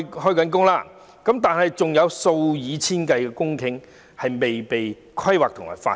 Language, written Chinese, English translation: Cantonese, 除此之外，還有數以千計公頃的土地未被規劃和發展。, Apart from it thousands of hectares of land has yet to be planned and developed